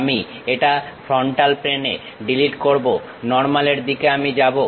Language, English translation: Bengali, I will delete this on the frontal plane Normal To I will go